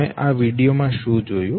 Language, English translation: Gujarati, What did you see in this very video